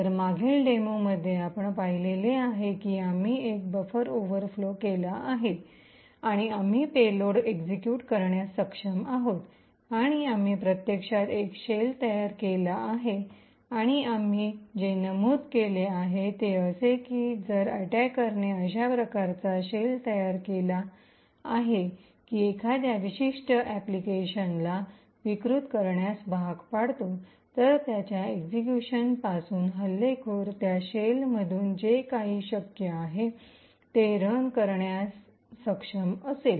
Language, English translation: Marathi, So in the previous demo what we have seen is that we overflowed a buffer and we were able to execute a payload and we actually created a shell and what we mentioned is that if an attacker creates such a shell forcing a particular application to be subverted from its execution, the attacker would be able to run whatever is possible from that shell